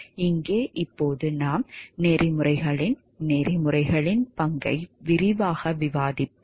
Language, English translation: Tamil, And here, now we will discuss in details the role played by the codes of ethics